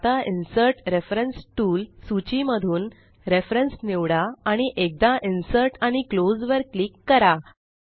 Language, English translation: Marathi, Now choose Reference in the Insert reference tool list and click on Insert once and close